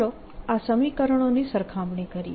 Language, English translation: Gujarati, let us compare these equations